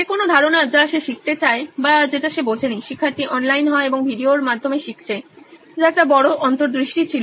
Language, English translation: Bengali, Any concept that he wants to learn or he is not understood, student goes online and he is learning through videos which was a big insight